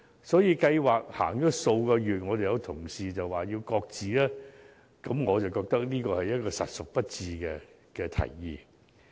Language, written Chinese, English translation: Cantonese, 所以當計劃實行了數個月，便有同事提出要求擱置計劃，我認為這提議實屬不智。, Therefore it would be unwise as suggested by some colleagues to scrap the scheme after it has only run for several months